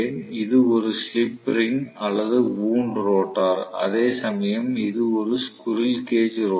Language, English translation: Tamil, So, this is slip ring or wound rotor, whereas this is squirrel cage rotor okay